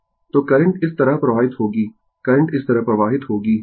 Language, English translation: Hindi, So, current will flow like this current will flow like this